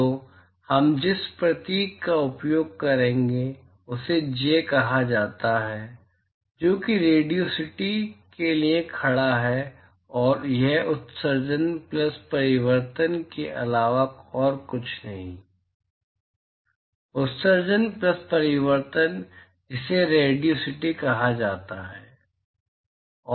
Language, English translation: Hindi, So, the symbol that we will use is called J which stands for radiosity and this is nothing but emission plus reflection, emission plus reflection is what is called as radiosity